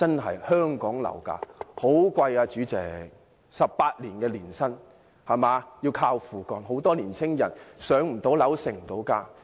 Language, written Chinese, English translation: Cantonese, 代理主席 ，18 年的年薪，還要"靠父幹"；很多年青人不能"上樓"，無法成家。, Deputy Chairman one has to save up his income for 18 years and hinges on his fathers deed to buy a home . Many young people cannot buy their own homes and cannot form their own families